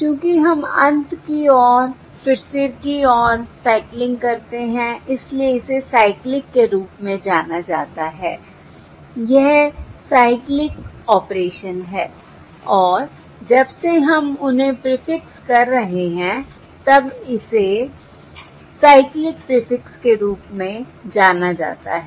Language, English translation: Hindi, Since we are cycling symbols towards the end, towards the head, this is known as a cyclic, this is the cyclic operation and also, since we are prefixing them, it is known as cyclic prefix